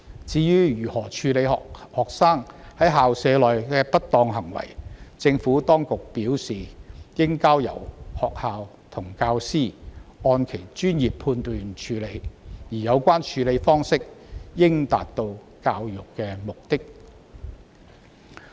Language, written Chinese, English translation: Cantonese, 至於如何處理學生在校舍內的不當行為，政府當局表示，應交由學校和教師按其專業判斷處理，而有關處理方式應達到教育的目的。, The Administration has advised that handling of students improper behaviour within the school premises should be left to the professional judgment of schools and teachers and be dealt with in such a way that the purpose of education is served